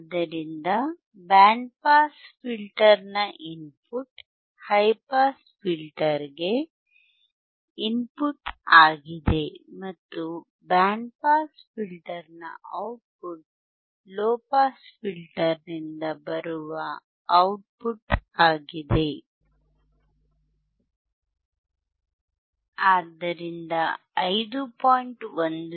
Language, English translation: Kannada, So, input of band pass filter is athe input to high pass filter and output of band pass filter is output tofrom the low pass filter